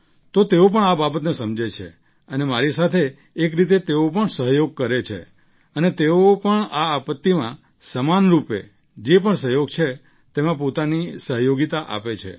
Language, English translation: Gujarati, So they too understand this thing and in a way they also cooperate with me and they also contribute in whatever kind of cooperation there is during the time of this calamity